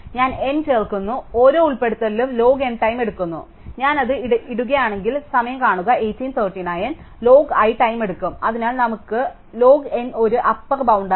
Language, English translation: Malayalam, So, I do n inserts and each insert takes log N time at most, so we will take less time we will take log i time if I have inserted i items so far, so for but let us take log N as an upper bound